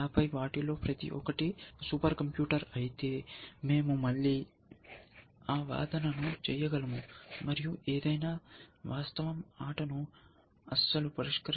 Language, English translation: Telugu, And then, if the each of them was a super computer, so we can do that argument again, and you can see that you can, any fact not solves the game at all